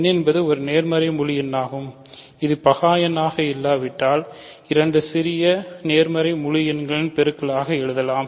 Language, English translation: Tamil, So, n is a positive integer it can be written as a product of two smaller positive integers if it is not prime